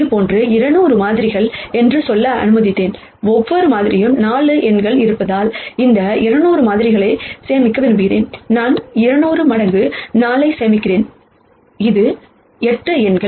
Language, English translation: Tamil, Supposing, I have let us say 200 such samples and I want to store these 200 samples since each sample has 4 numbers, I would be storing 200 times 4 which is 8 numbers